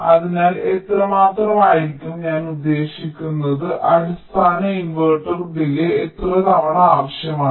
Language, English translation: Malayalam, i mean, how many times of the basic inverter delay will it require